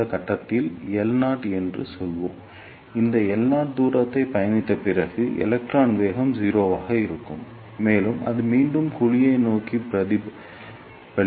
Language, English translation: Tamil, And at some point let us say L naught after travelling this, L naught distance the electron velocity will be 0, and it will be reflected back towards the cavity